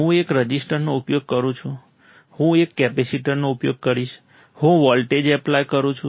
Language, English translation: Gujarati, I use one register, I will use one capacitor, I apply a voltage